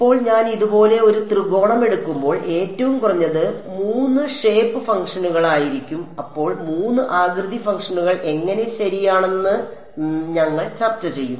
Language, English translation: Malayalam, Now, when I take a triangle like this right the bare minimum would be 3 shape functions, then we will discuss how there are 3 shape functions right